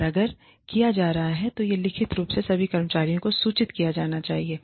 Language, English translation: Hindi, And, if it is being done, then this should be communicated, to all employees, in writing